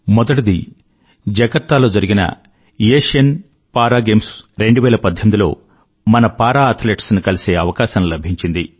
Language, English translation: Telugu, First, I got an opportunity to meet our Para Athletes who participated in the Asian Para Games 2018 held at Jakarta